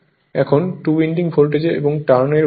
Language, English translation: Bengali, Now, two winding voltage and turns ratio right